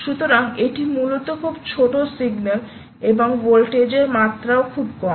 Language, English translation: Bengali, so this is ah, essentially a very small signal and the voltage levels are very low